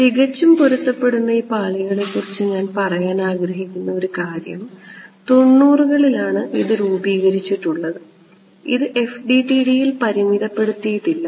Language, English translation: Malayalam, One thing I want to mention this perfectly matched layers, it is a recent sort of formulation 90’s 1990’s is been it was formulated it is not restricted to FDTD